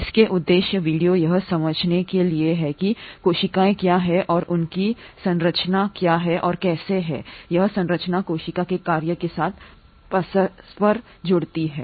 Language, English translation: Hindi, The objectives of this video are to develop an understanding of what are cells and what is their structure and how this structure interconnects with the function of the cell